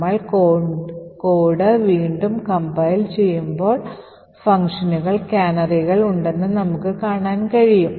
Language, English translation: Malayalam, So, we would compile the code again, notice that it is compiled now such that, canaries would be present in the functions